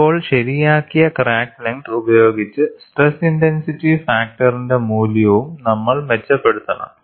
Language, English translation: Malayalam, Now, with the corrected crack length we should also improve the value of stress intensity factor, because the whole idea is to get the stress intensity factor